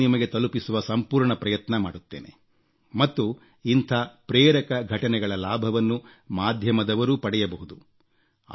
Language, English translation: Kannada, I will try my best to bring these to you; and the media can also take advantage of these inspiring stories